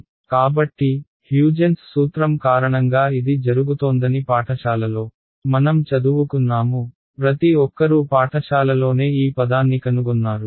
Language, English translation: Telugu, So, in school we studied that this is happening because of what was called Huygens principle, did everyone come across this word in school right